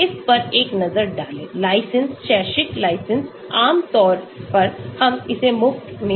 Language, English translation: Hindi, so have a look at it, licensed; academic license generally we get it free